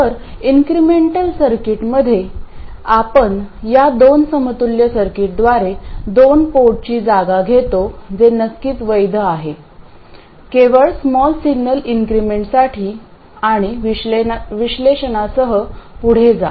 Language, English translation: Marathi, So, in the incremental circuit we substitute the two port by this equivalent circuit which is valid of course only for small signal increments and go ahead with the analysis